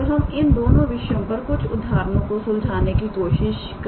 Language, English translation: Hindi, So, we will try to solve the examples on both of these two topics